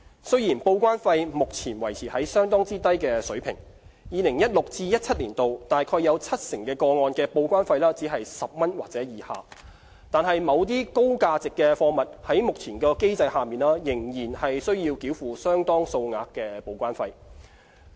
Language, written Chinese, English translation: Cantonese, 雖然報關費目前維持在相當低的水平 ，2016-2017 年度約七成個案的報關費只是10元或以下。但是，某些高價值貨物在目前的機制下，仍須繳付相當數額的報關費。, Although TDEC charges have been kept at low levels and more than 70 % of TDEC charges in 2016 - 2017 were at or below 10 TDEC charges for some high - value goods can still be substantial under the present mechanism